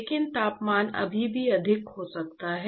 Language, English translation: Hindi, Yeah, but I can still have a higher temperature